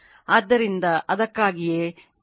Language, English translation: Kannada, So, that is why 2 into L C